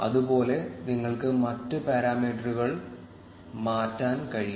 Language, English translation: Malayalam, Similarly, you can change the other parameters